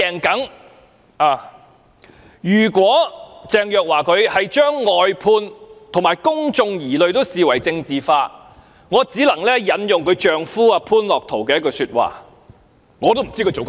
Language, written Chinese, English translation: Cantonese, 倘若鄭若驊把"外判"和釋除公眾疑慮也視為政治化，我只得引用她的丈夫潘樂陶的一句話："我不知她在做甚麼"。, If Teresa CHENG deems the act of briefing out the case to allay public concerns a form of politicization I can only quote the words of her husband Otto POON I have no idea what she is doing